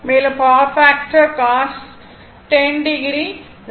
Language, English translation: Tamil, And power factor will be cos 10 degree 0